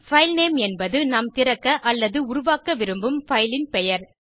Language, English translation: Tamil, filename is the name of the file that we want to open or create